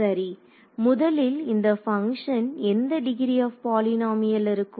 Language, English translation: Tamil, So, first of all this function over here what degree of polynomial is it